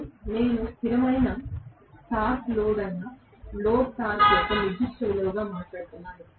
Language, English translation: Telugu, TL I am talking about as a particular value of load torque which is a constant torque load